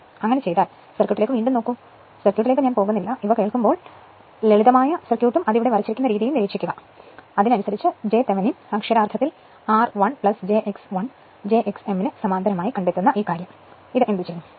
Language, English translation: Malayalam, So, if you if you do so, look at the circuit again and again I am not going to the circuit; when you listen to these you please draw the simple circuit and the way it has been drawn here and accordingly what you do that your this thing that find out j Thevenin literally r one plus j x 1 parallel to j x m